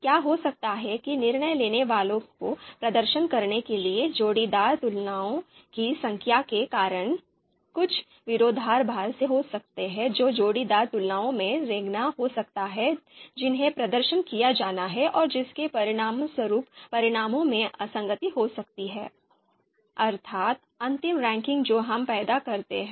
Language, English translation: Hindi, So what might happen is that because of the number of compare pairwise comparisons that decision makers have to perform, there might be you know some contradiction that you know that could creep into the in the pairwise comparisons that are to be performed and which might lead to you know inconsistency in the results, the final ranking that we produce